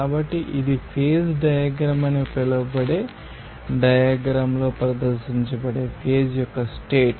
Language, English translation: Telugu, So, this diagram will be you know referred to as a phase diagram